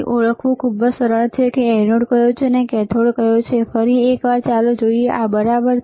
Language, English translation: Gujarati, So, the is very easy to identify which is anode which is cathode again once again let us see this is the, right